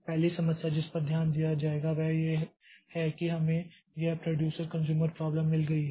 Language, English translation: Hindi, The first problem that we'll be looking into is that we have got this producer consumer problem